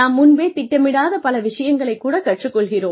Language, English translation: Tamil, We learn a lot of, we practice a lot of things, that we may not have planned, for earlier